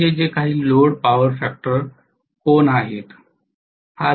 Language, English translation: Marathi, This is the load power factor angle have